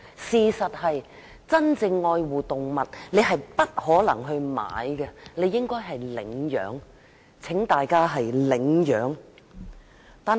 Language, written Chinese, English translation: Cantonese, 事實上，真正愛護動物的人，不應買而應領養，請大家領養動物。, In fact those who truly love animals should adopt rather than buy animals so I urge Members to adopt animals